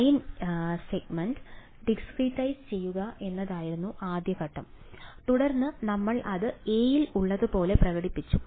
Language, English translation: Malayalam, First step was to we discretize the like line segment and then we expressed it as in a